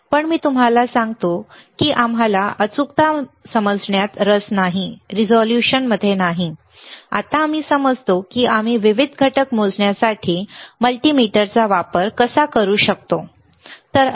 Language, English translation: Marathi, But let me tell you that we are not interested in understanding the accuracy, right now not resolution, right now we understanding that how we can use the multimeter for measuring different components, all right